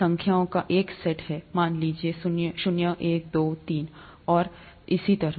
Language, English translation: Hindi, There are a set of numbers, let’s say, zero, one, two, three, and so on